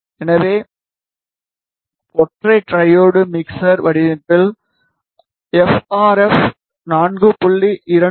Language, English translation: Tamil, So, let us say we start with single diode mixer design f RF is 4